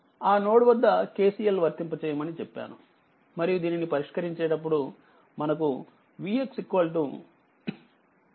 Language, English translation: Telugu, And it that I told you at node a you please apply your KCL and solve it, you will get V x is equal to 25